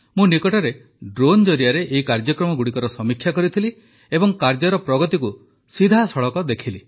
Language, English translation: Odia, Recently, through drones, I also reviewed these projects and saw live their work progress